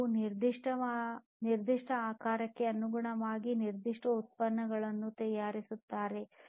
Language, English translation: Kannada, They will manufacture a particular product according to the specified shape